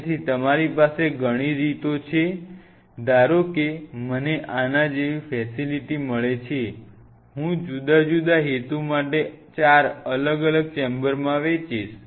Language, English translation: Gujarati, So, there are you have multiple ways suppose I get a facility like this, I split up into four different chambers for different purpose